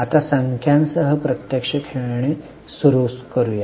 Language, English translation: Marathi, Now let us start actually playing with numbers